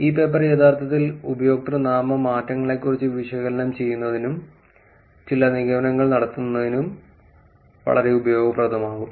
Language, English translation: Malayalam, This paper can be actually very useful in terms of even analyzing and even making some inferences on username changes